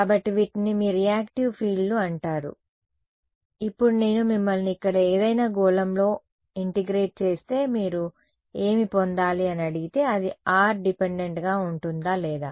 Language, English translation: Telugu, So, these are called your reactive fields, now if I ask you if I integrate over some sphere over here what should you get, will it be r dependent or not